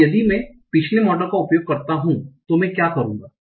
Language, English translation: Hindi, Now if I use the previous model what will I do